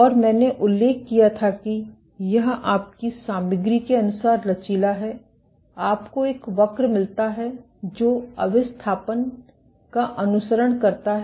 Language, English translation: Hindi, And I had mentioned that in these depending of your material is elastic you get a curve which follows the indentation